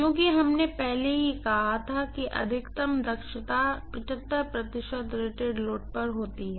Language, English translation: Hindi, because we already said the maximum efficiency occurs at 75 percent of rated load